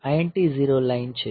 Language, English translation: Gujarati, So, I N T 0 line